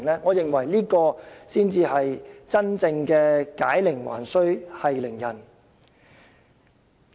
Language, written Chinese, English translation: Cantonese, 我認為這才是真正的解鈴還須繫鈴人。, I think this should help untie the knot and provide a true solution to the problem